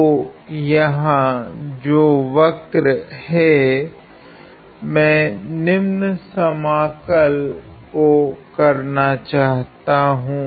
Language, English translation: Hindi, So, the curve here that, I want to integrate is the following